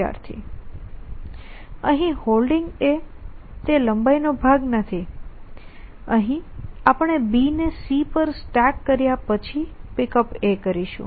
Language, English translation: Gujarati, Student: Here holding is not part of length here this is we are going to pick up A to after stacking B on C we are pick up in A